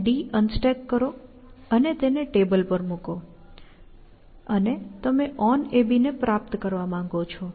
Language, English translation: Gujarati, You unstack d, and put it on the table, and you want to achieve a on ab